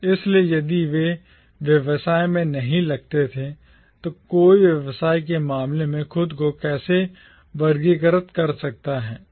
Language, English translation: Hindi, So, if they were not engaged in business, how can one classify themselves in terms of the occupation